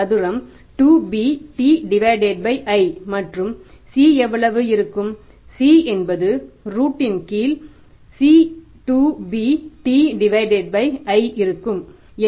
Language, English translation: Tamil, C square will be 2 bt divided by i and c will be the under root of 2 bt by i under root